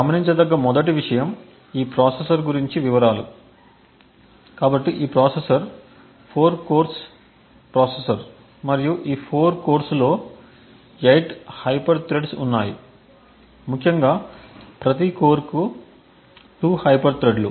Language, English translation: Telugu, The 1st thing to note is details about this processor, so this processor is 4 cores processor and these 4 cores there are 8 hyper threats, essentially per core as 2 hyper threads